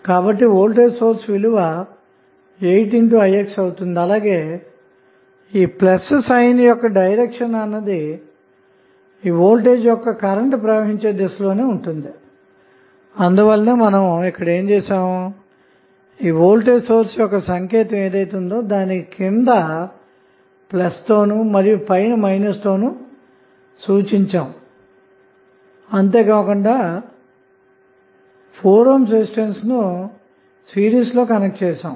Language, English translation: Telugu, So, the value of voltage source would become 2 into 4 that is 8i x and the direction of plus sign the polarity would be plus would be in the direction of flow of the current so that is why the below sign is plus up sign is minus and then in series with one 4 ohm resistance